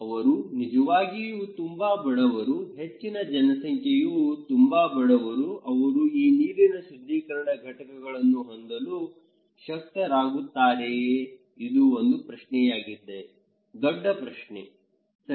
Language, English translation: Kannada, They are really, really, really poor, a large number of populations are very poor, can they afford to have these filters this is a question; the big question, right